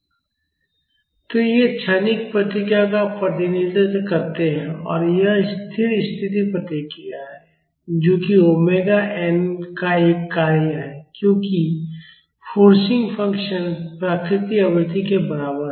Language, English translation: Hindi, So, they represent the transient response and the steady state response is this which is a function of omega n as the forcing function is equal to the natural frequency